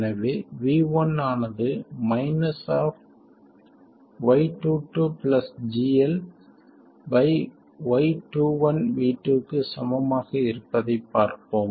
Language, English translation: Tamil, So, we will see that we will get V1 to be equal to minus Y22 plus GL divided by y21 times v2